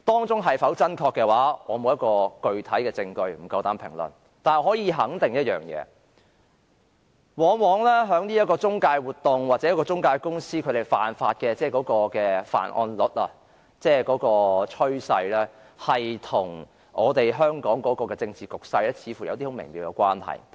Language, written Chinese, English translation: Cantonese, 這是否真確，我沒有具體證據，不敢評論；但我可以肯定一點，這類中介活動或中介公司的犯案率或這方面的趨勢，往往與香港的政治局勢似乎有很微妙的關係。, As to whether this is true I do not have concrete evidence to prove it or otherwise and I dare not make any comment . But I can assert that these intermediary activities or the crime rate of intermediaries or such a trend often seems to have an intricate relationship with the political situation in Hong Kong